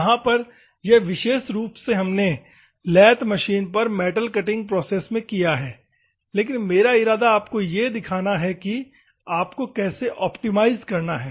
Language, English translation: Hindi, In this particular thing, this is particularly what we have done for metal cutting in the lathe process, but my intention is to show you how you have to optimize